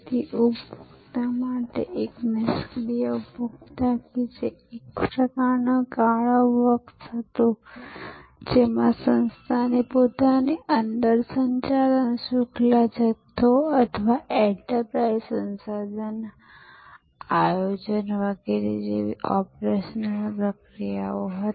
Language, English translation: Gujarati, So, to the consumer, a passive consumer that was kind of a black box, so the organisation within itself had operational processes like supply chain management or enterprise resource planning, etc